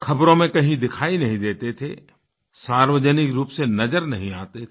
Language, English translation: Hindi, He was neither seen in the news nor in public life